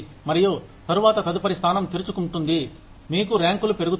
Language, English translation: Telugu, And, after the next position opens up, you go up in rank